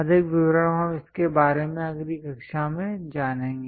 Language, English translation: Hindi, More details we will learn it in the next class